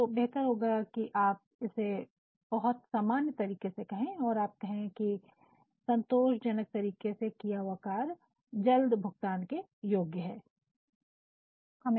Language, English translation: Hindi, So, it is always better to make it in a very general manner in say satisfactory job completion qualifies for the fast release of payment